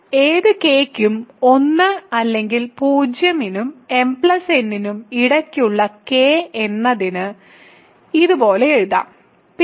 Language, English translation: Malayalam, So, for any k; so let me write it like this for k between 1 or 0 and m plus n, P k is equal to ok